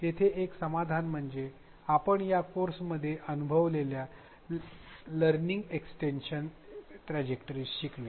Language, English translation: Marathi, One solution here is that of learning extension trajectories which you would have experienced in this course itself